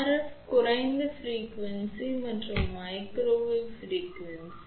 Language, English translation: Tamil, So, RF is lower frequency also and even microwave frequency